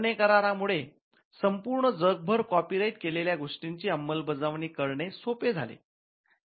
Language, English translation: Marathi, The BERNE convention made it easy for copyrighted works to be enforced across the globe